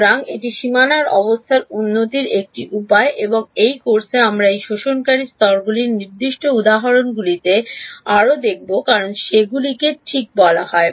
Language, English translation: Bengali, So, this is one way of improving boundary condition and in this course we will look at further on specific examples of these absorbing layers as they are called ok